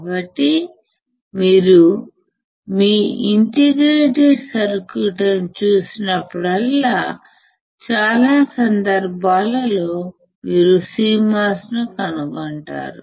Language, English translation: Telugu, So, whenever you see an indicator circuits, most of the cases you will find CMOS